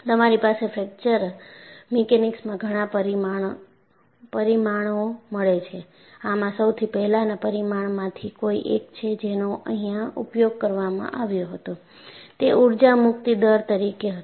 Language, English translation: Gujarati, You have several parameters in fracture mechanics and one of the earliest parameters that was used was energy release rate